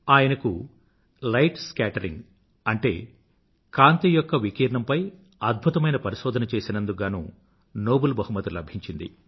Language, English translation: Telugu, He was awarded the Nobel Prize for his outstanding work on light scattering